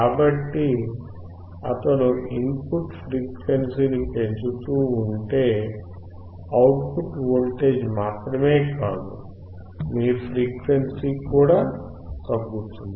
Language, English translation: Telugu, So, if he keeps on increasing the input frequency, the output is decreasing, not only voltage, but also your frequency